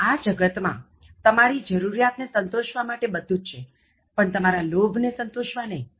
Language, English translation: Gujarati, There is enough in this world to fulfill your NEED, but not your GREED